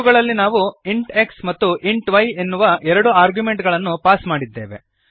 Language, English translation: Kannada, In these we have passed two arguments int x and int y